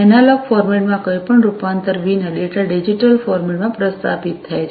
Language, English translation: Gujarati, Data is transmitted in digital format, without any conversion to the analog format